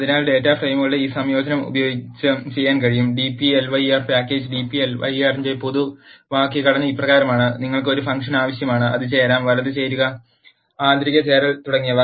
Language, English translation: Malayalam, So, this combining of data frames can be done using, dplyr package the general syntax of the dplyr is as follows, you need to have a function which could be either left join, right join, inner join and so on